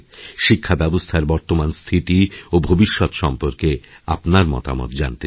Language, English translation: Bengali, So I would like to know your views concerning the current direction of education and its future course